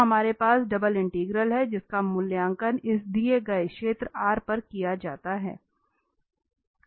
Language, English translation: Hindi, So we have the simple double integral which has to be evaluated over this given region R